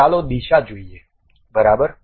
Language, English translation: Gujarati, Let us look at the direction